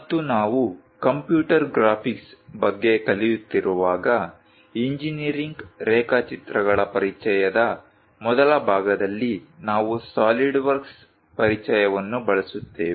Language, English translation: Kannada, And when we are learning about computer graphics, we use introduction to solid works , in the first part introduction to engineering drawings